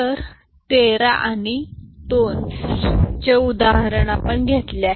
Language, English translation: Marathi, So, the example is taken is of 13 and 2